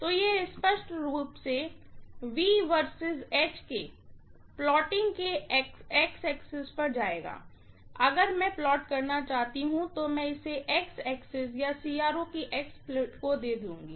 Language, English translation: Hindi, So, this will obviously go to the x axis of the plotting of V versus H, if I want to plot, I will give this to the x axis or X plate of the CRO, right